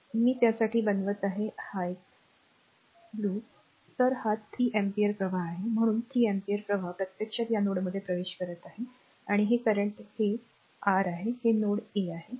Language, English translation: Marathi, So, this is 3 ampere current so, 3 ampere current actually entering into this node, this is 3 ampere current entering into the node